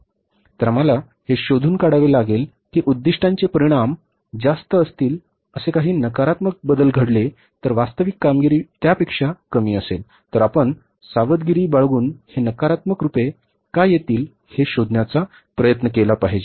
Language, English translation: Marathi, So we will have to find out that yes, if there is a negative variance that the target results were high, actual performance is less than that, then we will have to be careful and try to find out why this negative variance has come up